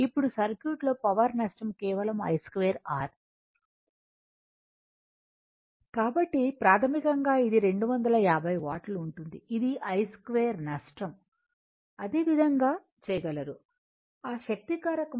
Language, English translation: Telugu, Now, in the circuit power loss is simply I square R so basically it will be 250 watt that is your I square loss the same way you can do it that power factor the